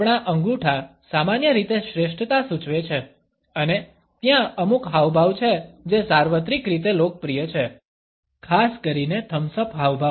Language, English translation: Gujarati, Our thumbs normally indicates superiority and there are certain gestures which are universally popular, particularly the thumbs up gesture